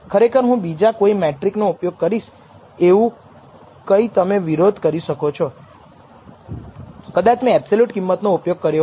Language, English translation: Gujarati, Of course, you can counter by saying I will use some other metric maybe I should have used absolute value